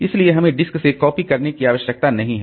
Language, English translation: Hindi, So, we don't need to copy from the disk